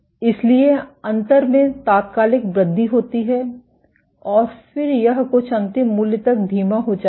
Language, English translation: Hindi, So, there is an instantaneous increase in gap and then it slows down to some eventual value